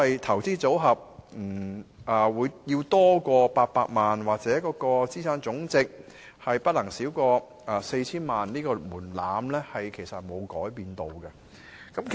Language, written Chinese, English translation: Cantonese, 投資組合超過800萬元，或者資產總值不少於 4,000 萬元這個門檻沒有改變。, The thresholds of having a portfolio of over 8 million or total assets of not less than 40 million will remain unchanged